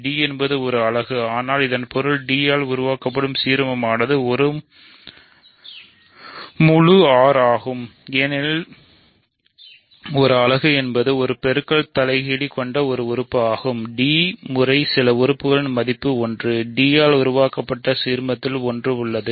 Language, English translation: Tamil, So, d is a unit, but this means the ideal generated by d is entire R, because a unit is an element which has a multiplicative inverse; that means, d times some element is one; that means, one is in the ideal generated by d